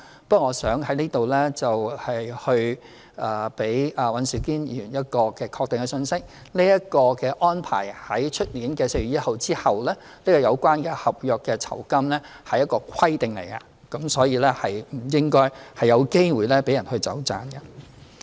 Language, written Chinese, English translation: Cantonese, 不過，我想在此給予尹兆堅議員一個確定的信息：明年4月1日後，這個有關合約酬金的安排將會是一項規定，所以應該不會讓人有"走盞"的空間。, Anyway I would like to give a definite message to Mr Andrew WAN here that after 1 April next year the arrangement about end of contract gratuity will become a requirement leaving no room for manoeuvring